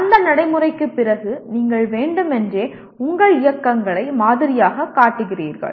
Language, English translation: Tamil, Then after that practice, you deliberately model that model your movements